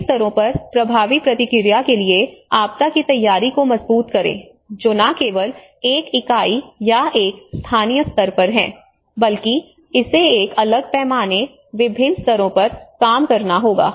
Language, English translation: Hindi, Strengthen the disaster preparedness for effective response at all levels you know that is not only at one unit or one local level, but it has to work out a different scales, different levels